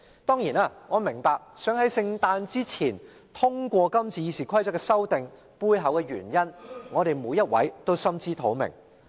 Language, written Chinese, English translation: Cantonese, 當然，我明白要在聖誕節前通過今次《議事規則》修訂的背後原因，而我們每人也心知肚明。, Certainly I appreciate the underlying reasons for the desire to pass the amendments to RoP before Christmas and all of us also know them full well in our minds